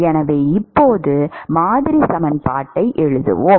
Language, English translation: Tamil, So, let us now write the model equation